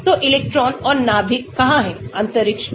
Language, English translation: Hindi, so where are the electrons and nuclei in space